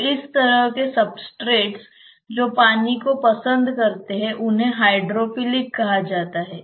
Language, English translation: Hindi, So, such types of substrates which like water are called as hydrophilic ones